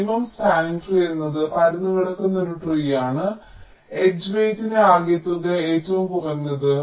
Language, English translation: Malayalam, minimum spanning tree is a tree, ah spanning tree, which whose some of the edge weights is minimum